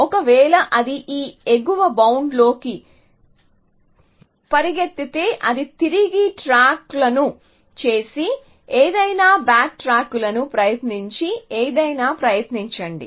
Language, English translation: Telugu, So, if it runs into this upper bound it back tracks and try something backtracks and try something